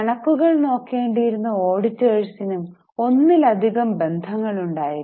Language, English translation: Malayalam, The auditors who are supposed to be overlooking everything, they had multiple relationships